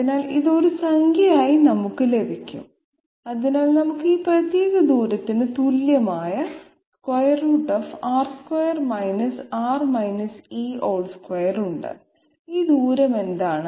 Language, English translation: Malayalam, So it will be available with us as a number, so we have R square R E Whole Square equal to this particular distance and what is this distance